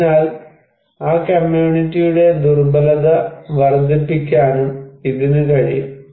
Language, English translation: Malayalam, So, it can also increase the vulnerability of that community